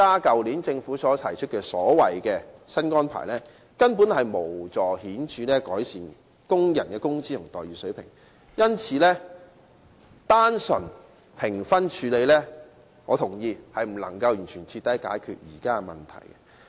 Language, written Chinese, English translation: Cantonese, 所以，政府去年提出的所謂新安排根本無法顯著改善工人的工資和待遇水平，因此，我認為若只在評分方面作出處理，並不能徹底解決現時的問題。, This explains why the so - called new arrangement proposed by the Government last year cannot possibly improve workers wages and remuneration level in a significant manner . In my opinion the existing problem cannot be resolved thoroughly if attention is paid to the scores only